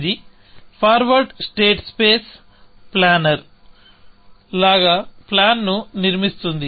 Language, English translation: Telugu, So, it is doing, it is constructing the plan like a forward state space planner